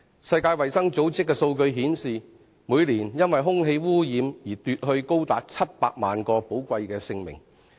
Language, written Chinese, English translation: Cantonese, 世界衞生組織的數據顯示，空氣污染每年奪去多達700萬人的寶貴生命。, Statistics of the World Health Organization show that air pollution takes away as many as 7 million precious human lives every year